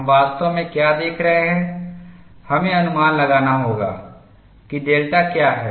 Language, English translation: Hindi, What we are really looking at is, we have to estimate what is delta